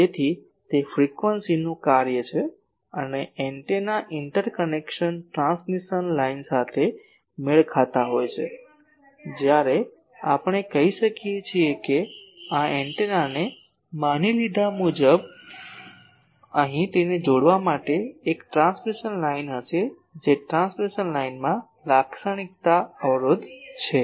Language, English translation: Gujarati, So, it is a function of frequency and antenna is matched to the interconnection transmission line, when we say that suppose this antenna as I said that, there will be a transmission line here to connect it that transmission line has a characteristic impedance